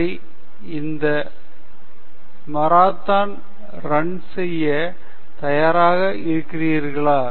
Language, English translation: Tamil, Okay are you ready to run this marathon, steadily without giving up okay